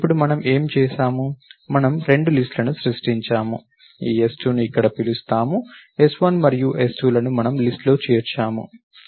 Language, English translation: Telugu, So, now what have we done now, we have created two lists, let me call this s2 here, s1 and s2 into which we have inserted elements into the list